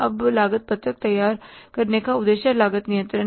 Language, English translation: Hindi, Now, purpose of preparing the cost sheet is cost control